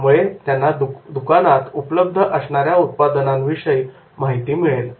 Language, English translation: Marathi, Then also it is helps them to understand the products available at the store